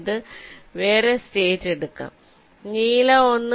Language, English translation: Malayalam, you take another state, lets say blue one